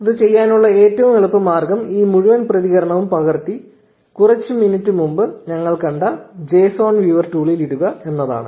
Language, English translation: Malayalam, The easiest way to do this is to copy this entire response and put it in the json viewer tool that we saw a few minutes ago